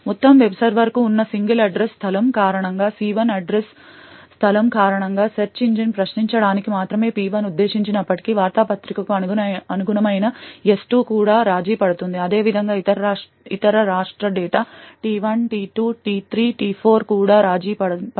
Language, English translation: Telugu, Now note that due to the single address space that is present for the entire web server, so even though P1 is only meant to query the search engine due to the single address space the service S2 which corresponds to the newspaper is also compromised, similarly the other state data T1, T2, T3, T4 is also compromised